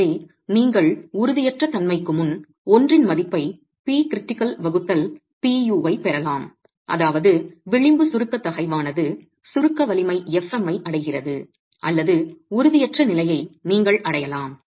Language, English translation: Tamil, So, you could either have P critical by PU reaching a value of 1 before instability, that is the edge compressive stress reaching a compressive strength fm or you could have a situation of instability being reached